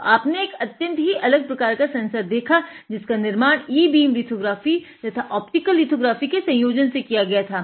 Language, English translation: Hindi, So, as you have seen, you have seen a unique sensor which is kept here which was fabricated using a combination of optical lithography and e beam lithography